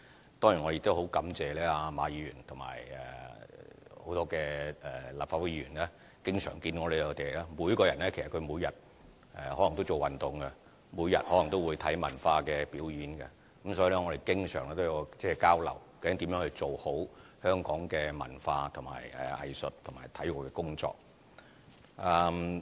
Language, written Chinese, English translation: Cantonese, 我當然也很感謝馬議員和很多立法會議員，他們每人每天也可能會做運動，每天也可能會看文化表演，所以我們經常有交流，看看究竟如何做好香港文化、藝術和體育的工作。, I am of course thankful to Mr MA and many other Legislative Council Members who may do exercise and watch cultural performances every day . Hence there are always exchanges among us to see how we can do better in the aspects of culture arts and sports in Hong Kong